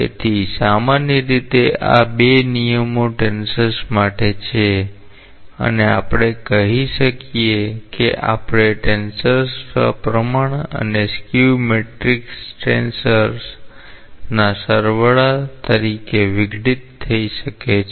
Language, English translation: Gujarati, So, in general these rules are for tensors and we can say that any tensor may be decomposed as a sum of a symmetric and a skew symmetric tensor